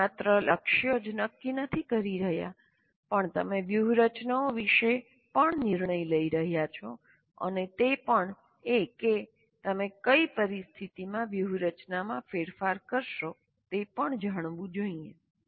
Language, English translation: Gujarati, So not only you are setting goals, but you are making decisions about strategies and also under what conditions you will be changing the strategy